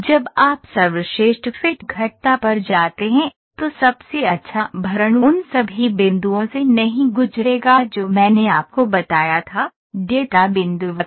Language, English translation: Hindi, When you go to best fit curves, the best fill will not pass through all the points which I told you, data point curve